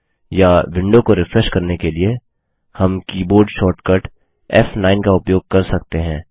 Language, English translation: Hindi, Or we can use the keyboard shortcut F9 to refresh the window